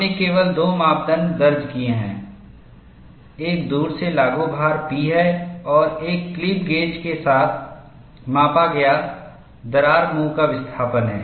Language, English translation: Hindi, We have recorded only two parameters; one is the remotely applied load P and the displacement of the crack mouth, measured with a clip gauge